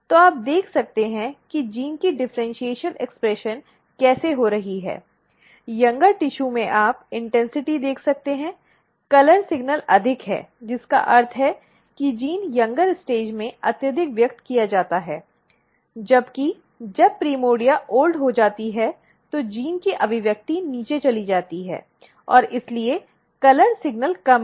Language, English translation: Hindi, So, you can see how differential expression of gene is taking place; in the younger tissue you can see the intensity, the color signal is higher which means, that the gene is highly expressed in the younger stage whereas, when the primordia is old the expression of the gene goes down and therefore, the color signal is lower